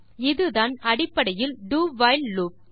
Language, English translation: Tamil, That is basically the DO WHILE loop